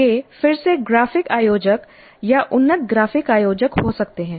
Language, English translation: Hindi, It can be again graphic organizers or advanced graphic organizers